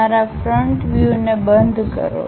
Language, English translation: Gujarati, Enclose your front view